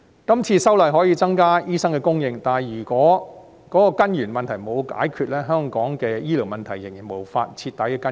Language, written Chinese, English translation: Cantonese, 今次修例可以增加醫生的供應，但如果根源問題沒有解決，香港的醫療問題仍然無法徹底根治。, The current legislative amendment can increase the supply of doctors but Hong Kongs healthcare problems still cannot be utterly remedied if the root issues are not solved